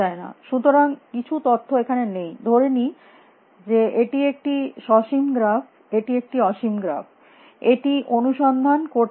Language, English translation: Bengali, And So, I have lost over some detail if let us assume it is a finite graph it is a infinite graph it will keep searching